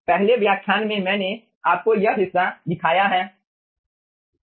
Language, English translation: Hindi, okay, in the first lecture i have shown you this part right